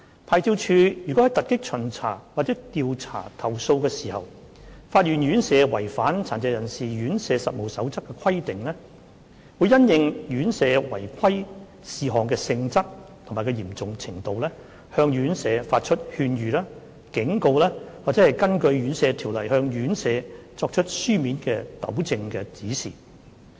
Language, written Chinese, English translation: Cantonese, 牌照處如在突擊巡查或調查投訴時發現院舍違反《殘疾人士院舍實務守則》的規定，會因應院舍違規事項的性質及嚴重程度，向院舍發出勸諭、警告或根據《殘疾人士院舍條例》向院舍作出書面糾正指示。, If any RCHDs are found to have contravened the Code of Practice for Residential Care Homes during surprise inspections or investigation of complaints LORCHD will depending on the nature and severity of the irregularities identified issue to the RCHDs concerned advisory or warning letters or written directions on remedial measures under the Residential Care Homes Ordinance